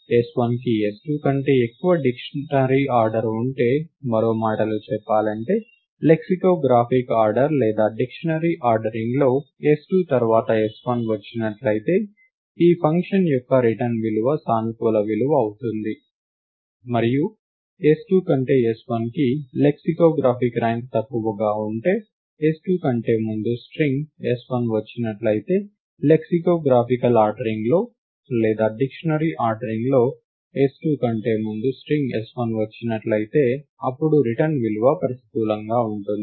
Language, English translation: Telugu, If s1 has a higher dictionary order than s2, in other words in the lexicographic ordering or in the dictionary ordering, if s1 occurs after 2 then the return value of this function will be a positive value, and if s1 has a lexicographically lower rank than s2; that is s1 occurs or the string s1 occurs before string s2 in the lexicographic ordering or in the dictionary ordering, then the return value will be negative